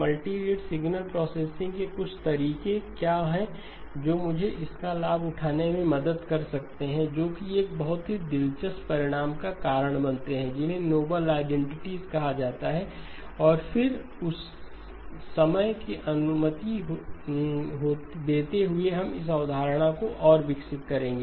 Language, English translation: Hindi, What are some of the ways in which multirate signal processing can help me take advantage of that, that leads to a very interesting result called noble identities and then time permitting we will also develop this concept further